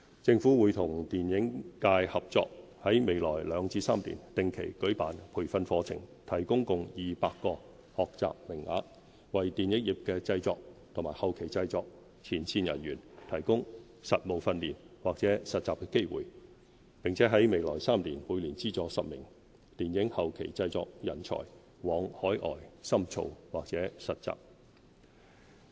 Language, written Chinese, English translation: Cantonese, 政府會與電影界合作，在未來兩至三年定期舉辦培訓課程，提供共200個學習名額，為電影業的製作和後期製作前線人才提供實務訓練或實習機會，並在未來3年每年資助10名電影後期製作人才往海外深造或實習。, In the coming two to three years the Government will collaborate with the film industry to run training programmes regularly with a total of 200 places to provide practical training or internship opportunities for frontline talent in the production and post - production sectors of the film industry . Moreover the Government will support 10 practitioners in the post - production sector in each of the next three years to further their studies or undertake internships overseas